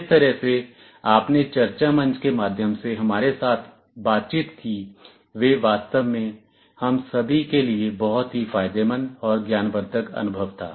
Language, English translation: Hindi, The way you interacted with us through the discussion forum, it was really a very rewarding and enlightening experience for all of us